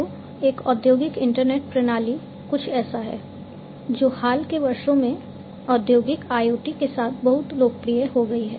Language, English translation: Hindi, So, industrial internet systems is something, that has also become very popular, in the recent years along with industrial IoT